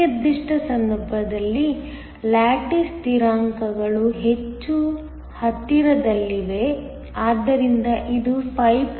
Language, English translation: Kannada, In this particular case, the lattice constants are much closer, so this is 5